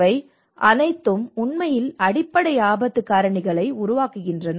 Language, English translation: Tamil, And these are all actually formulates the underlying risk drivers